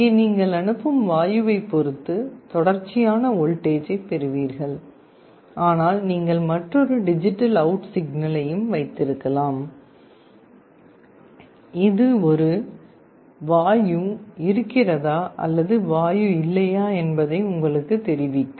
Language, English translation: Tamil, Here you get a continuous voltage depending on the gas, but you can also have another digital out signal, that will tell you whether there is a gas or no gas